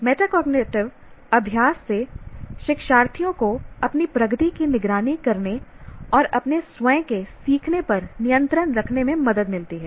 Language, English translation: Hindi, Metacognitive practices help learners to monitor their own progress and take control of their own learning